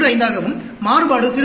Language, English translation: Tamil, 15, and the variability will be 0